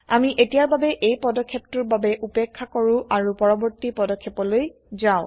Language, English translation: Assamese, We will skip this step for now, and go to the Next step